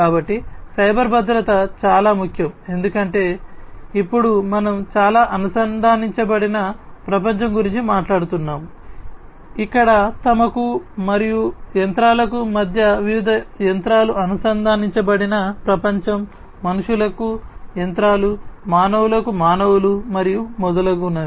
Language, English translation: Telugu, So, cyber security is very important because now we are talking about a very connected world, where a world where different machines are connected between themselves and machines to people, machines to humans, humans to humans, and so on